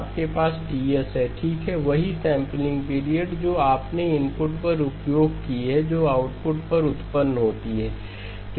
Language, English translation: Hindi, You have Ts and you have Ts okay, the same sampling period that you have used at the input is what produces at the output